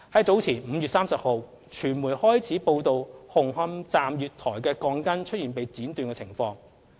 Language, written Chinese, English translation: Cantonese, 早前在5月30日，傳媒開始報道紅磡站月台鋼筋出現被剪短的情況。, On 30 May the media started reporting that steel bars were found to be cut short at the platforms of Hung Hom Station